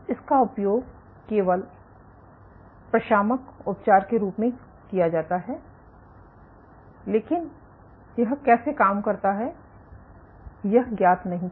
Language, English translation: Hindi, So, this is used only as a palliative, but how it works is not known